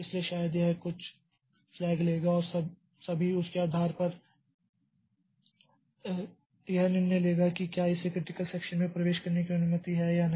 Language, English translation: Hindi, So, maybe it will check some flag and all and based on that it will come to a decision whether it is permitted to enter into the critical section